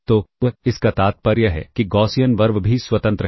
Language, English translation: Hindi, So, this implies this implies that the Gaussian RV's are also independent